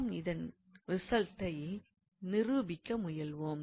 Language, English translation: Tamil, So, we will try to prove that result